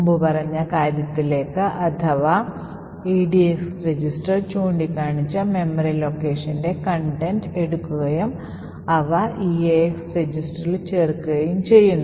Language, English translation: Malayalam, We have the contents of the memory location pointing to by the edx register to be added into the eax register